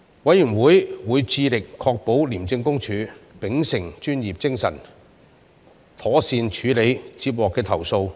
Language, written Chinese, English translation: Cantonese, 委員會會致力確保廉政公署秉持專業精神，妥善處理接獲的投訴。, The Committee endeavours to ensure the professional and proper handling of relevant complaints by ICAC